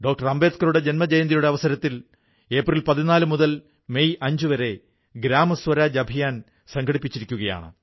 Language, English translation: Malayalam, Ambedkar from April 14 to May 5 'GramSwaraj Abhiyan,' is being organized